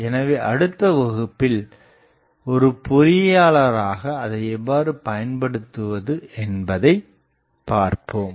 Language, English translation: Tamil, So, now we will see how to play with that as an engineer in the next class